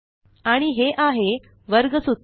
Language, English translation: Marathi, And there is the quadratic formula